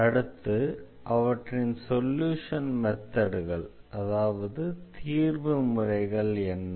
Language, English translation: Tamil, So, what are the solution methods